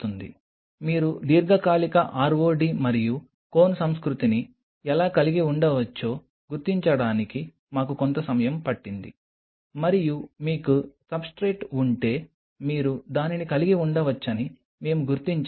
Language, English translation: Telugu, It took us a while to figure out how you can have a long term ROD and CONE culture and that is where we figure out you can have it if you have a substrate